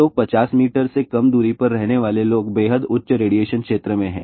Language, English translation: Hindi, So, people living at less than 50 meter distance are in extremely high radiation zone